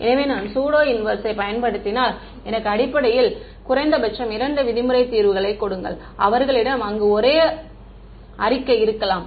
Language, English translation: Tamil, So, I can if I use the pseudo inverse I am basically saying give me the minimum 2 norm solutions, where one and the same statement